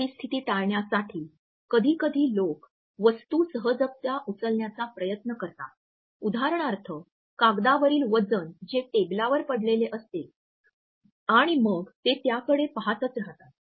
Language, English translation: Marathi, In order to avoid these situations sometimes people try to pick up a random object for example, a paper weight which is lying on the table and then they keep on looking at it